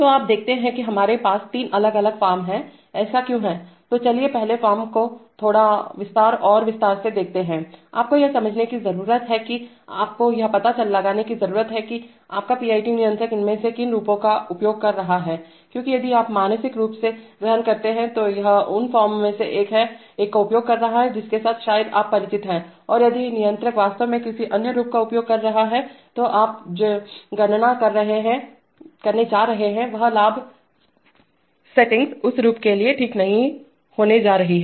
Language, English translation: Hindi, So you see that we have three different forms, why is it, so let us look at the first form in slightly more detail, you need to understandm you need to find out which of these forms your PID controller is using because if you mentally assume that it is using one of the forms with which perhaps you are familiar and if the controller is actually using another form then the gain settings that you're going to compute are not going to be right for that form okay